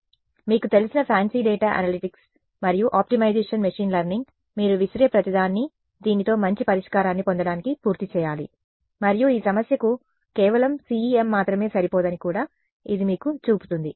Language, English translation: Telugu, So, all you know fancy data analytics and optimization machine learning whatever you can throw at it needs to be done to get a good solution with this and it also shows you that just CEM alone is not enough for this problem